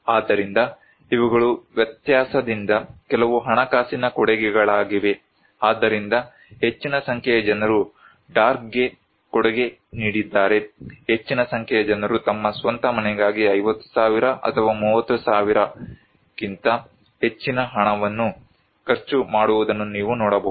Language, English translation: Kannada, So, these are some of the financial contributions from difference so, a great number of people contributed the dark one you can see that they spend money for their own house like 50,000 or more than 30,000 thousand